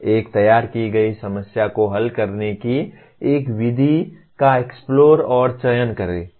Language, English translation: Hindi, Explore and select a method of solving a formulated problem